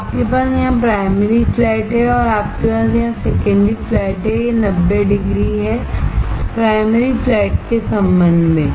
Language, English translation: Hindi, So, you have primary flat here and you have secondary flat here, this is 90 degree, with respect to primary flat